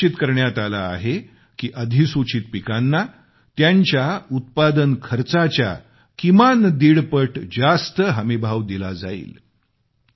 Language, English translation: Marathi, It has been decided that the MSP of notified crops will be fixed at least one and a half times of their cost